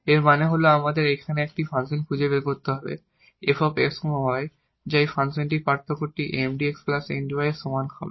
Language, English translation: Bengali, So, if there exists a function this f x y the function of two variable whose differential is exactly this Mdx plus Ndy